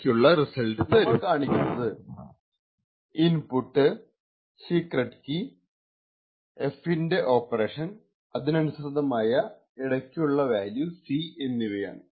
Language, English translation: Malayalam, So, to simplify this entire figure we just showed the input F and the secret key and the F operation and the corresponding intermediate value C